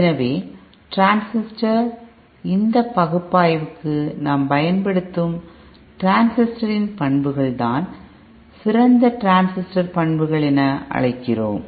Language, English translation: Tamil, So the transistor, the characteristics of the transistor that we use for this analysis is what we called ideal transistor characteristics